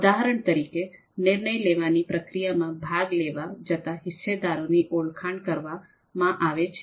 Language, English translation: Gujarati, For example, identifying the stakeholders or actors or who are going to participate in this decision making process